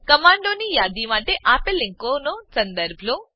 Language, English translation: Gujarati, Refer the following link for list of commands